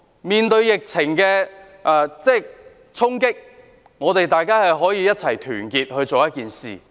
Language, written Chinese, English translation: Cantonese, 面對疫情的衝擊，大家可以團結一致。, Facing a blow from the epidemic we can unite together